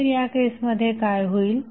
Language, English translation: Marathi, So, what will happen in that case